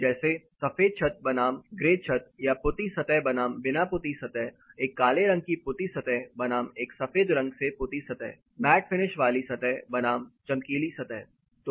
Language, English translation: Hindi, Say you know white roof versus grey roof or a painted surface versus unpainted surface, a black color painted surface versus a white painted surface, a matt finished surface versus a reflective surface